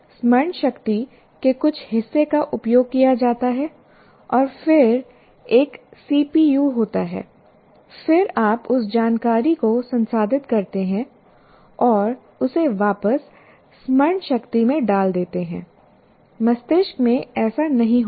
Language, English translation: Hindi, There is some part of the memory is used and then there is a CPU, then you process that information and put it back in the memory